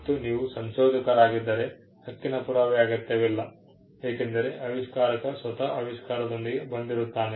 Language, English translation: Kannada, If you are inventor, there is no need for a proof of right, because, the inventor itself came up with the invention